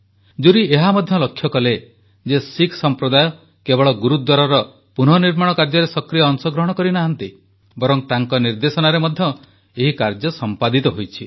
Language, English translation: Odia, The jury also noted that in the restoration of the Gurudwara not only did the Sikh community participate actively; it was done under their guidance too